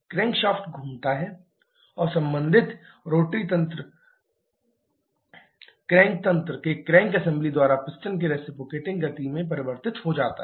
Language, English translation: Hindi, The crankshaft rotates and the corresponding rotary mechanism is converted to the reciprocating motion of the piston by the crank assembly of crank mechanism